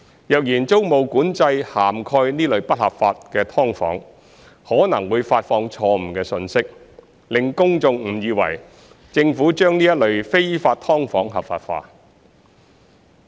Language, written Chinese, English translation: Cantonese, 若然租務管制涵蓋這類不合法的"劏房"，可能會發放錯誤信息，令公眾誤以為政府把這類非法"劏房""合法化"。, If tenancy control covers such illegal subdivided units it may convey a wrong message to the public that the Government has legitimized such illegal subdivided units